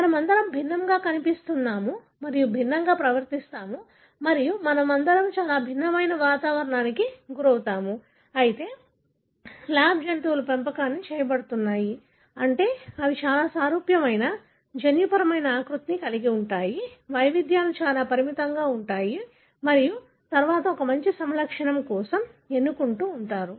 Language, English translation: Telugu, All of us look different, all of us behave different and all of us are exposed to very different kind of environment, whereas lab animals are in bred, meaning they have very very similar genetic make up; variations is very very limited and then, therefore you keep selecting for a, you know, the good phenotype